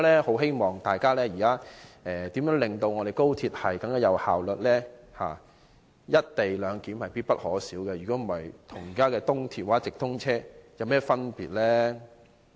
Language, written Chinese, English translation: Cantonese, 因此，大家應看看如何令我們的高鐵更有效率，而"一地兩檢"是必不可少，否則，高鐵與現時的東鐵或直通車又有何分別呢？, Hence we should see how to make our XRL more efficient and the co - location arrangement is absolutely essential . Otherwise how would XRL be different from the existing East Rail Line or through trains?